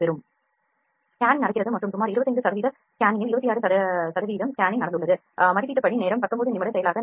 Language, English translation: Tamil, The scanning is happening the scanning is happening and around 25 percent scanning has 26 percent of scanning has happened estimated time is around 19 minute processing time is